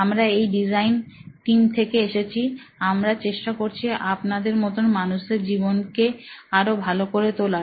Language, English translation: Bengali, We are from this design team, we are trying to make people like your lives better